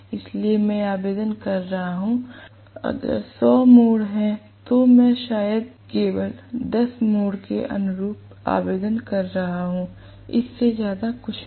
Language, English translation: Hindi, So, I am applying if there are hundred turns, I am probably applying only corresponding to 10 turns, nothing more than that